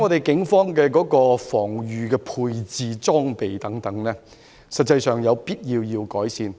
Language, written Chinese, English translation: Cantonese, 警方現時的防禦裝備，有必要改善。, The present protective gear of the Police needs to be upgraded